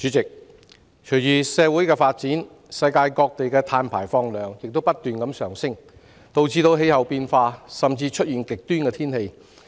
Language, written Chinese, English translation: Cantonese, 主席，隨着社會發展，世界各地的碳排放量不斷上升，導致氣候變化，甚至極端天氣。, President along with social development carbon emissions around the world are constantly on the rise resulting in climate change and even extreme weather